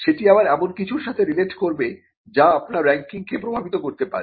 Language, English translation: Bengali, So, that could again relate to something that affects your ranking